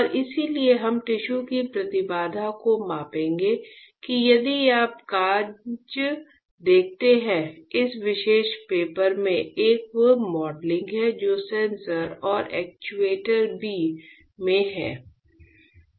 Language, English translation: Hindi, And that is why we will measure the impedance of the tissue that if you see the paper; there is a modelling in the paper in this particular paper which is in sensor as and actuators B